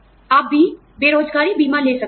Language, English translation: Hindi, You could also have, unemployment insurance